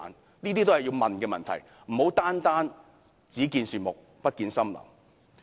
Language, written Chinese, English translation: Cantonese, 這些是我們要問的問題，不可單單"只見樹木，不見森林"。, These are the questions we have to ask . We cannot see the wood for the trees